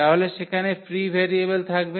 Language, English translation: Bengali, So, we have the free variable we have the free variable